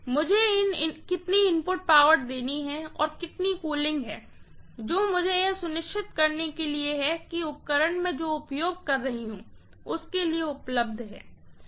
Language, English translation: Hindi, How much is the input power I have to give and how much of the cooling that I have to make sure that is available for the apparatus that I am using, right